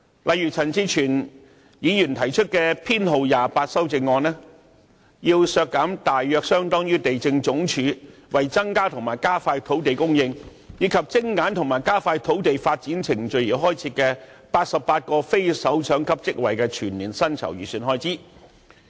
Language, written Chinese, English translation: Cantonese, 例如，陳志全議員提出修正案編號 28， 便要求削減大約相當於地政總署為增加和加快土地供應，以及精簡和加快土地發展程序而開設的88個非首長級職位的全年薪酬預算開支。, For instance Amendment No . 28 raised by Mr CHAN Chi - chuen proposes to slash an equivalent of the annual estimated expenditure on the personal emoluments for the 88 non - directorate grade posts created to increase and expedite land supply and to streamline and expedite land development in the Lands Department